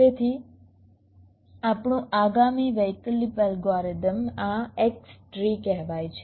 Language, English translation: Gujarati, so our next alternate algorithm, this is called x tree